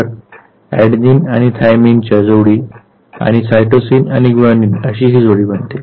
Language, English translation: Marathi, So, adenine and thymine they pair together and cytosine and guanine they pair together